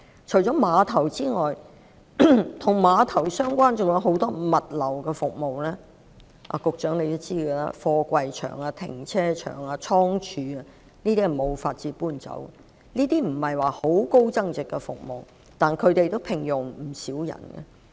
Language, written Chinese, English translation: Cantonese, 除了碼頭之外，還有很多與碼頭相關的物流服務——局長也知道，例如貨櫃場、停車場及倉貯——這些是無法遷走的，儘管這些並非有很高增值的服務，但也聘用了不少人。, In addition to the terminals there are many logistics services related to them―such as container yards parking lots and warehouses which the Secretary should know very well―which cannot be relocated . Even though they are not services with a very high value - added they are employing quite a large number of people